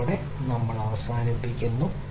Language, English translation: Malayalam, With this we come to an end